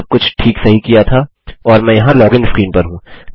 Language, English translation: Hindi, Everything has worked out fine and I am at the login screen here